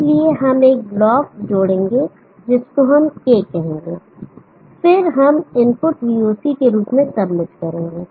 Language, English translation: Hindi, So we will add a block let us say that is K, and then we will submit as input VOC